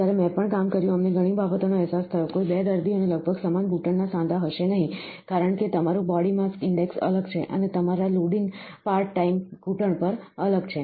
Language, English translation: Gujarati, When, I also worked, we realised many things, no 2 patients will have almost the same knee joint, because your body to mass index is different and your loading part time is different on the knee